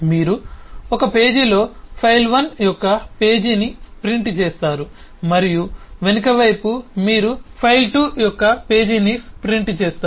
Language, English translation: Telugu, you on page you print a page of file 1 and in the back you print the page of file 2